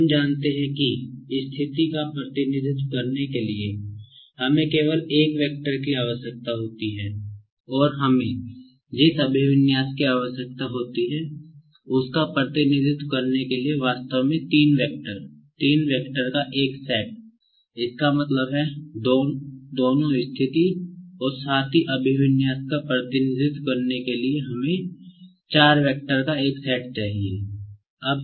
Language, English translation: Hindi, We know that to represent the position, we need only one vector and to represent the orientation we need, in fact, three vectors, a set of three vectors; that means, to represent both position as well as orientation we need a set of four vectors